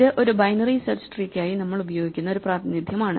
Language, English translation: Malayalam, The data structure we have in mind is called a binary search tree